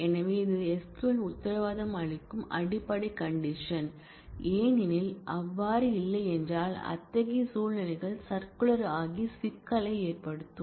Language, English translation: Tamil, So, that is the basic condition that SQL guarantees; because, if that were not the case then such situations will become circular and will cause problem